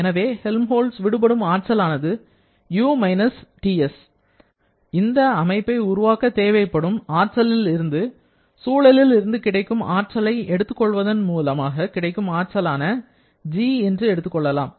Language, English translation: Tamil, So, this Helmholtz free energy is U TS and you can visualize this as the amount of energy needed to create a system the amount of energy that the system is getting from the environment and finally G